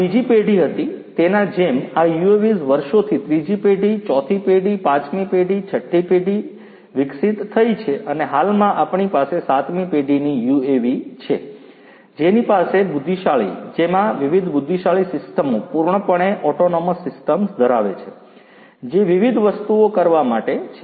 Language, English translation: Gujarati, That was the second generation like this these UAVs have evolved over the years third generation, fourth generation, fifth generation, sixth generation and at present we have the seventh generation UAV which have intelligent, which have different intelligent systems fully autonomous systems in place for doing different things